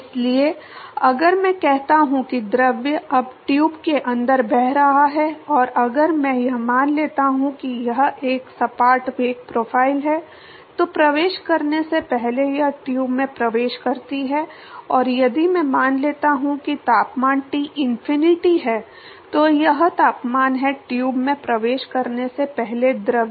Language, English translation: Hindi, So, if I say that the fluid is now flowing inside the tube and if I assume that the it is a flat velocity profile, before it enters it enters the tube and if I assume that the temperature is Tinfinity, so that is the temperature of the fluid before it enters the tube